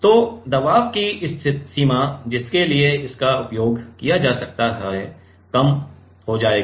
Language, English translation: Hindi, So, the range of pressure for which it can be used will be lesser